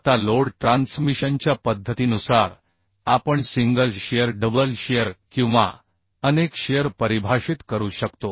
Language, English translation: Marathi, Now, depending upon the mode of load transmission, we can define a single shear, double shear or multiple shear